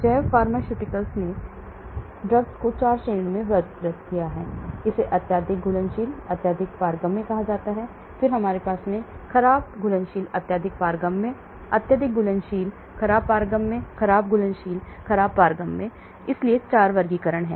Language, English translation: Hindi, The bio pharmaceutical has classified drugs into 4 categories, it is called a highly soluble highly permeable, then we have a poorly soluble highly permeable, highly soluble poorly permeable, poorly soluble poorly permeable, so 4 classifications